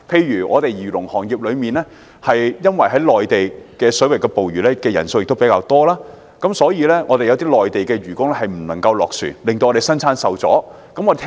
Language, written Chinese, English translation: Cantonese, 以漁農業為例，由於在內地水域捕魚的人數較多，所以有些內地漁工不能落船，以致生產受影響。, Take the agriculture and fisheries industry as an example . Given that a lot of people fish in the Mainland waters the ban prohibiting Mainland deckhands from leaving the boats has an adverse effect on production